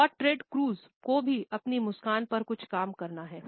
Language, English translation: Hindi, And Ted Cruz, also has some work to do on his smile